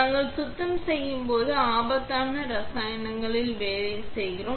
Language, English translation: Tamil, When we are doing cleaning, we are working with dangerous chemicals